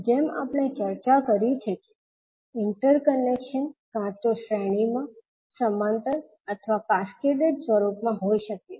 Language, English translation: Gujarati, As we discussed that interconnection can be either in series, parallel or in cascaded format